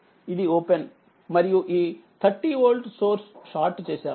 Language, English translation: Telugu, That is, is this is open this 30 volt source is shorted